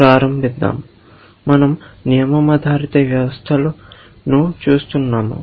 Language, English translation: Telugu, Let us begin; we are looking at rule based systems